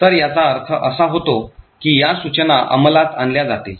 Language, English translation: Marathi, So, this would mean that these instructions would get executed